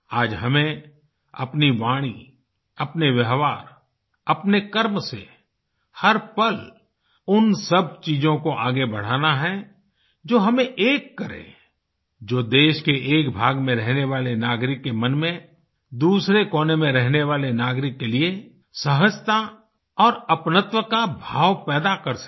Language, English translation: Hindi, Today through our speech, our bearing and our actions, every moment we have to carry forward the entire spectrum of values that unite us… so that a sense of ease and belongingness is inculcated in the mind of the citizen living in one part of the country for the citizen living in the other